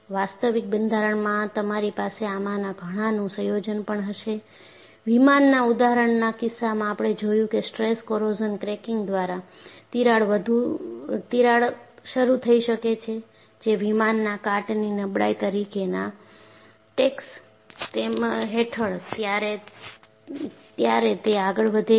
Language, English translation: Gujarati, In an actual structure, you will have combination of many of these, for the case of example of an aircraft, we saw that, crack can get initiated by stress corrosion cracking, which proceeds while the aircraft is under taxing as corrosion fatigue